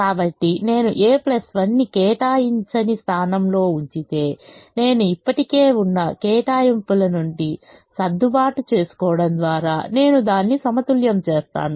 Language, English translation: Telugu, so if i put a plus one in an unallocated position, i have to adjust from the existing allocations such that i balance it out